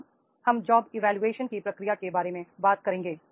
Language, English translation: Hindi, Now we will talk about the process of job evaluation